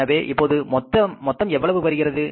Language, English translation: Tamil, So, how much is total now